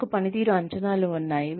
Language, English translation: Telugu, We have performance appraisals